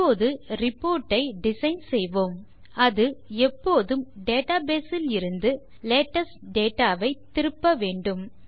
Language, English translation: Tamil, Now let us design our report so that the report will always return the latest data from the database